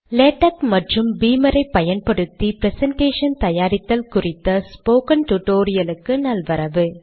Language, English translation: Tamil, Welcome to this spoken tutorial on presentation using Latex and beamer